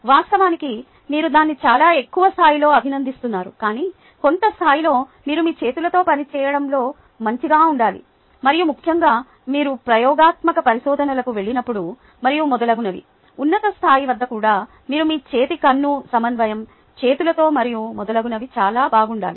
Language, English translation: Telugu, but at some level you must be good in working with your hands, and especially when you get on to experimental research and so on and so forth, even at a high level, you need to be very good with your hands, hand, eye coordination, and so on and so forth